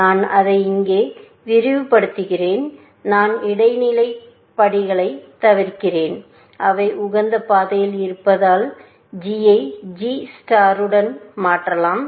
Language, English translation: Tamil, I am just expanding this one here, and that one there, and I am skipping the transitive steps, and because they are in optimal path, we can replace g with g star